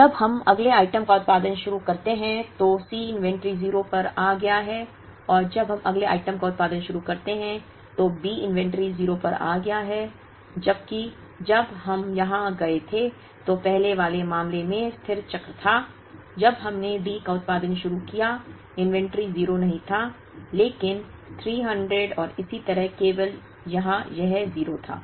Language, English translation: Hindi, And when we start producing the next item B the inventory has come to 0, whereas when we went here, which was the steady cycle in the earlier case when we started producing D the inventory was not 0, but 300 and so on, only here it was 0